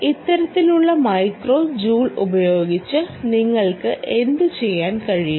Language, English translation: Malayalam, and what can you do with this kind of micro joules of energy